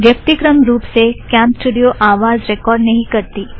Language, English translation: Hindi, By default, CamStudio does not record audio